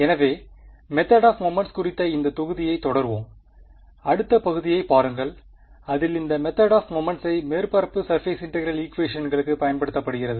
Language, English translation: Tamil, So, we will continue with this module on the method of moments and look at the next section which is applying this method of moments to Surface Integral Equations ok